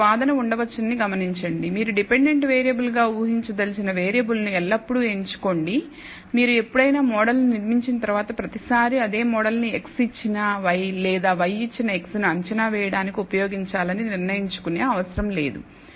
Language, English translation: Telugu, Notice there might be an argument saying that you know you should always choose the variable which you wish to predict as the dependent variable, need not once you build a model you can always decide to use this model for predict ing x given y or y given x